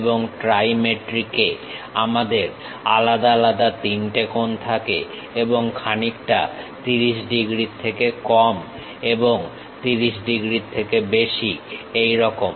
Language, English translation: Bengali, In dimetric projections, we have different angles something like lower than that 30 degrees, here it is 15 degrees